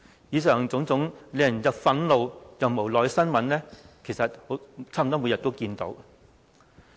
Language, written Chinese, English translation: Cantonese, 以上種種令人憤怒又無奈的新聞，我們差不多每天都看到。, Such annoying news is reported almost every day and we can do nothing about the situation